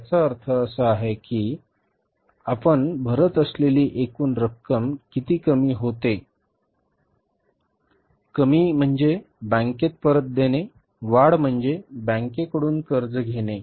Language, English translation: Marathi, So, it means whatever the total amount we are paying decrease is how much is decrease means paying back to the bank, increase means borrowing from the bank